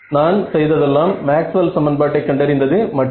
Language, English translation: Tamil, This is just coming from Maxwell’s equations right